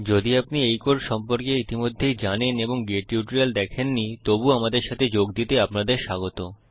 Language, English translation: Bengali, If you already know these codes about and you have not seen the get tutorial, you are welcome to join us